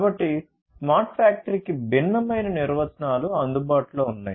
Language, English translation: Telugu, So, there are different different definitions of smart factory that is available